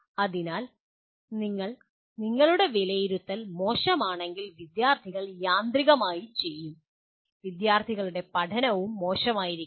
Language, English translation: Malayalam, So if you, your assessment is poor, automatically the students will, the learning by the students will also be poor